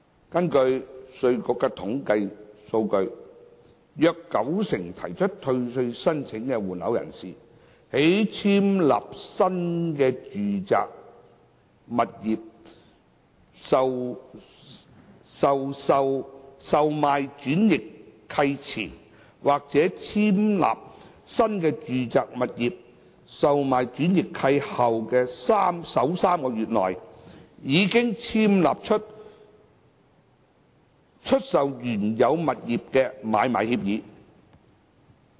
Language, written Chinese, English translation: Cantonese, 根據稅務局的統計數據，約九成提出退稅申請的換樓人士，在簽立新住宅物業的售賣轉易契前，或在簽立新住宅物業的售賣轉易契後的首3個月內，已簽立出售原有物業的買賣協議。, According to the IRDs statistics about 90 % of persons who applied for refund executed the agreement for sale and purchase for disposal of the original residential property either before or within three months after they had executed the assignment of the new residential property